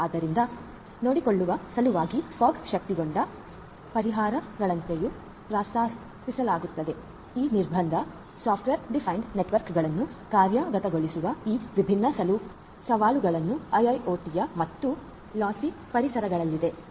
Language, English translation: Kannada, So, there are like fog enabled solutions that are also being proposed in order to take care of these different challenges of implementing software defined networks for this constraint and constraint and lossy environments of IIoT